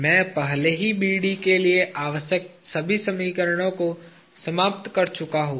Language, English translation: Hindi, I have already exhausted all the equations necessary for BD